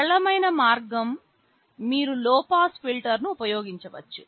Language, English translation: Telugu, The simplest way is you can use a low pass filter